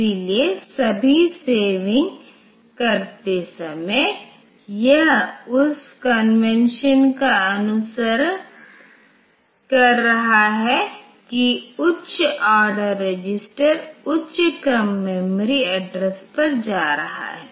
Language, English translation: Hindi, So, in all the saving, it is following that convention that the higher order register is going to higher order memory address